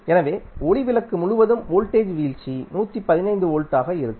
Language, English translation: Tamil, So, voltage drop across the light bulb would come out to be across 115 volt